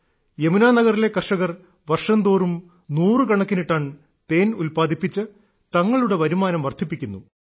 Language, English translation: Malayalam, In Yamuna Nagar, farmers are producing several hundred tons of honey annually, enhancing their income by doing bee farming